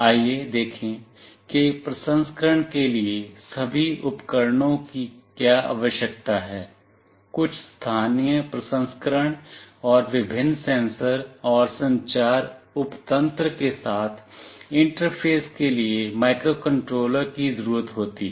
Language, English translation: Hindi, Let us see what all devices are required for the processing; microcontroller is required for carrying out some local processing, and interface with the various sensors and the communication subsystem